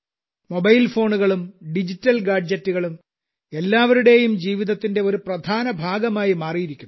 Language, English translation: Malayalam, Mobile phones and digital gadgets have become an important part of everyone's life